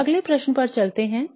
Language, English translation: Hindi, Now let's move on to the next question